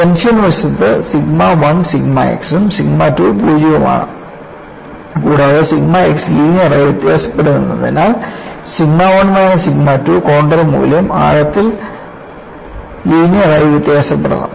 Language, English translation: Malayalam, In the tension side, sigma 1 is sigma x and sigma 2 is 0, and since sigma x varies linearly, sigma 1 minus sigma 2 contour value has to vary linearly over the depth